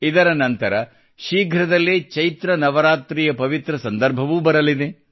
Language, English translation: Kannada, After this, soon the holy occasion of Chaitra Navratri will also come